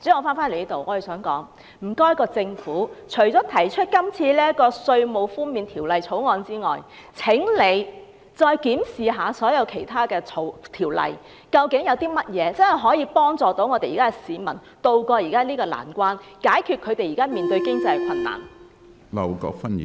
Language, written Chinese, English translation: Cantonese, 我想指出，除了《條例草案》提出的稅務寬免措施外，政府應檢視其他所有條例，以研究如何可以幫助市民渡過現時的難關，解決他們現時面對的經濟困難。, The point I am driving at is that the Government should examine all other ordinances besides introducing the tax concession measure under the Bill so as to find ways to help people tide over their current hardship and also resolve the existing financial difficulties faced by them